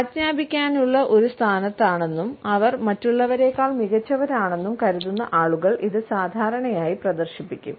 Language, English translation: Malayalam, This is commonly displayed by those people, who think that they are in a position to command as well as they are somehow superior to others